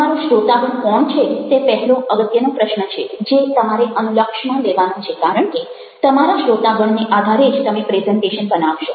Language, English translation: Gujarati, who are your audience is the first and the fore most question which you have to keep in mind because, depending in on your audience, you will be making a presentation